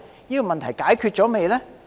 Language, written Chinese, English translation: Cantonese, 這些問題是否已解決呢？, Have these problems been solved?